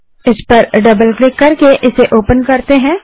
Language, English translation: Hindi, lets open it by double clicking on it